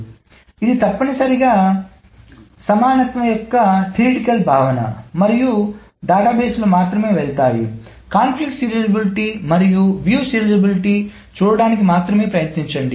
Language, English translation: Telugu, So it is essentially just a theoretical notion of equivalence and the database databases only go, only try to go up to conflict serializability and views idealizability